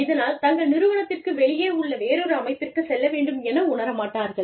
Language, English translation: Tamil, They do not feel the need to, you know, go into another body, outside of their organization